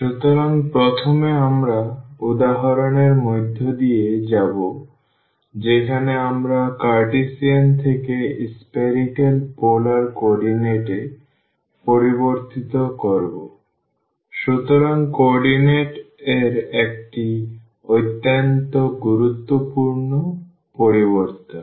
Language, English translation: Bengali, So, first you will go through the example where we change from Cartesian to spherical polar coordinates; so a very important the change of coordinates